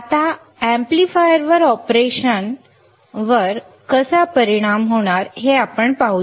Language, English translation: Marathi, Now, let us see how this is going to affect the amplifier operation